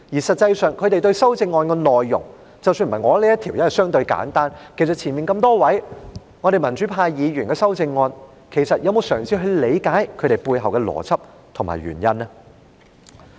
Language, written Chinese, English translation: Cantonese, 實際上，他們對於修正案的內容，即使不是我提出的這項，因為內容相對簡單，對於早前多位民主派議員提出的修正案，他們又有否嘗試理解其背後的邏輯和原因呢？, In fact regarding the contents of the amendments―let us not talk about this amendment of mine as it is relatively simple―regarding the amendments proposed by a number of pro - democracy Members earlier have they tried to find out about the logic and reasons behind the amendments?